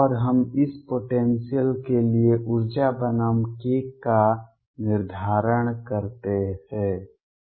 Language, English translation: Hindi, And we used to determine the energy versus k for this potential